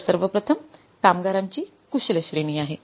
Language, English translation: Marathi, So, first is the skilled category of the workers